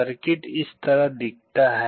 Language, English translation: Hindi, The circuit looks like this